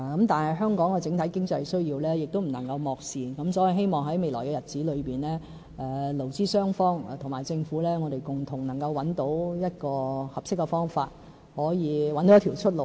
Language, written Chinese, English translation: Cantonese, 但是，香港的整體經濟需要亦不能夠漠視，所以我希望在未來日子裏，勞資雙方及政府能夠共同找到合適方法，可以找到一條出路。, But the overall economic needs should not be neglected as well . I thus hope that in the future employers employees and the Government can join hands to identify a suitable way to resolve the difficult situation now